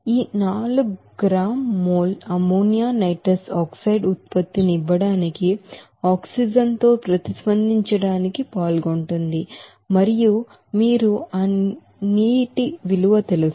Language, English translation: Telugu, Now in this 4 gram mole of ammonia is participating to react with oxygen to give the production of nitrous oxide and you know that water